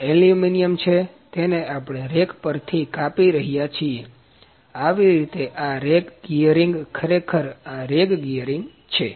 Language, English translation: Gujarati, So, this is aluminium and we cut it from rack, like this is a rag gearing, this is rag gear actually